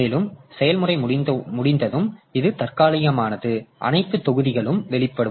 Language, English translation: Tamil, Once the process is over, all the blocks will be released